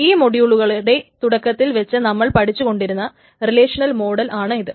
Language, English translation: Malayalam, This is the relational model that we have been studying so far